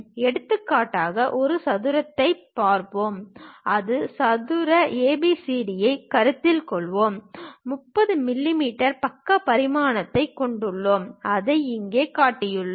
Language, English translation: Tamil, For example, let us look at a square, consider a square ABCD, having a dimension 30 mm side, we have shown it here